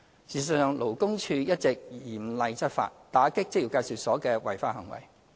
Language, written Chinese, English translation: Cantonese, 事實上，勞工處一直嚴厲執法，打擊職業介紹所的違法行為。, As a matter of fact LD has been taking rigorous actions against violations of the law by employment agencies